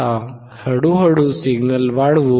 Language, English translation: Marathi, Now, let us increase the signal slowly